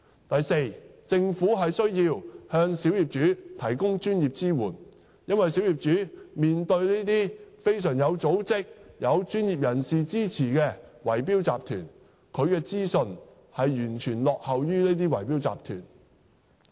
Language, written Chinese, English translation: Cantonese, 第四，政府必須向小業主提供專業支援，因為小業主面對這些非常有組織、有專業人士支持的圍標集團，他們的資訊完全落後於這些圍標集團。, Fourth the Government must provide professional support to the small owners because as the small owners are dealing with well - organized bid - rigging syndicates supported by professionals their information may completely be far inferior to that of these bid - rigging syndicates